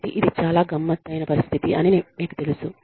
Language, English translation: Telugu, So, you know, it is a very tricky situation